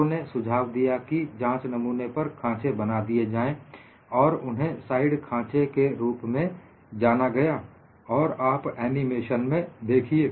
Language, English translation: Hindi, People suggested provide grooves on the specimen, and these are known as side grooves, and you just watch the animation